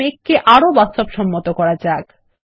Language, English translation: Bengali, Now lets make the clouds look more realistic